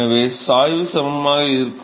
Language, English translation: Tamil, So, the gradients are equal